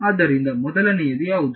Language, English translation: Kannada, So, what will be the first